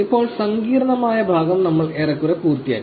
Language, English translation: Malayalam, Now, we are pretty much over with the complicated part